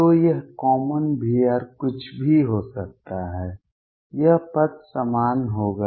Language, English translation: Hindi, So, this is common V r could be anything this term would be the same